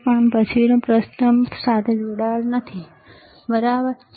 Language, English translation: Gujarati, But the next one is not connected with the first one, all right